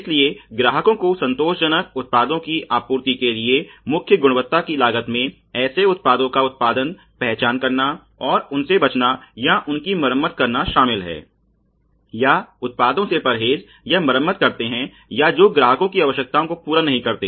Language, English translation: Hindi, So, the prime quality costs for supplying the satisfactory products to the customers include producing, identifying, avoiding or repairing avoiding or repairing products that do not meet the customer requirements